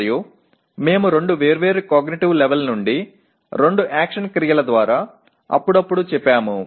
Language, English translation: Telugu, And we said occasionally by two action verbs from two different cognitive levels